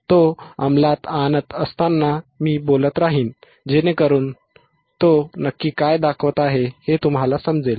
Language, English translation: Marathi, and wWhile he is implementing, I will keep talking, so that you understand what exactly he is showing ok